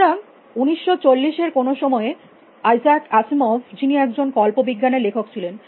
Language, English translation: Bengali, So, in 1940 sometime, I Isaac as Asimov who was the science fiction writers